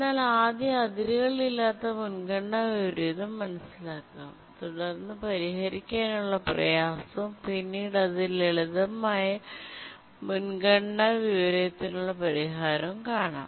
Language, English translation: Malayalam, Let's try to first understand unbounded priority inversion and then we'll see why it is difficult to solve and how can the simple priority inversion problem be solved